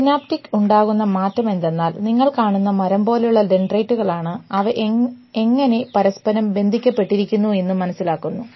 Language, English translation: Malayalam, So, the changes in synaptic are actually what is happening is that that tree of dendrites that you saw the way they connect with each other